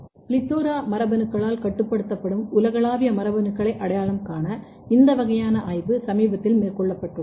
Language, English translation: Tamil, And then this kind of study has been taken very recently to identify global genes regulated by PLETHORA genes